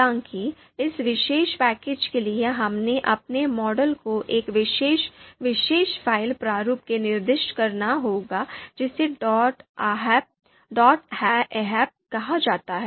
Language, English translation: Hindi, So, however, this particular package requires us to specify our model in a specific particular file format which is called dot ahp